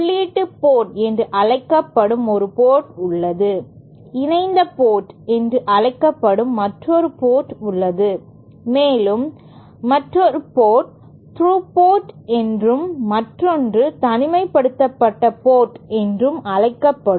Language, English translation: Tamil, There is one port which is called the input port there is another port which is called the coupled port, there is another which is called the through port and one which is called the isolated port